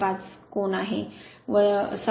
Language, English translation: Marathi, 5 angle minus 7